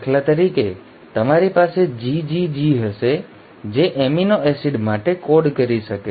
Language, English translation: Gujarati, For example you will have say GGG, can code for an amino acid